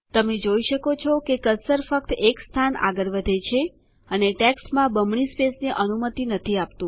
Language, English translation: Gujarati, You see that the cursor only moves one place and doesnt allow double spaces in the text